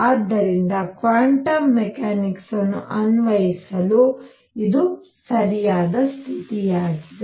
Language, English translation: Kannada, So, this seems to be the right condition for applying quantum mechanics